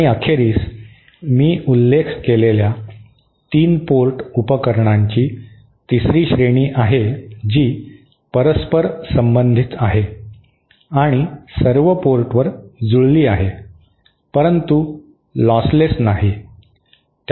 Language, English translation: Marathi, And finally the next, the 3rd category of 3 port devices that I mentioned which is reciprocal and matched at all ports but not lossless